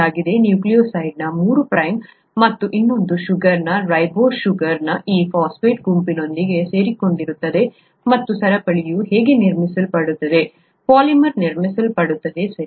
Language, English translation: Kannada, The three prime and of another sugar, ribose sugar of a nucleotide, gets attached with this phosphate group and that’s how the chain gets built up, the polymer gets built up, okay